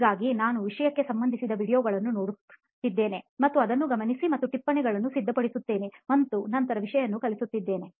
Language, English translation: Kannada, So I would be watching relevant videos to the subject and then noting it down and preparing notes and then learning the material